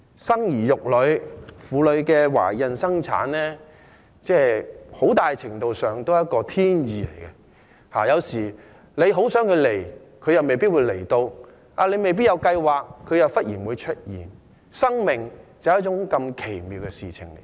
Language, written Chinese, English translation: Cantonese, 生兒育女、婦女懷孕生產，很大程度上也是一種天意，有時候很想有孩子，又未必會有，沒有計劃時，又會忽然出現，生命就是如此奇妙的事情。, Women largely submit to the will of heaven when it comes to bearing of and giving birth to children . Pregnancy can have nothing to do with their strong will or planning and may come unexpectedly . Life is so miraculous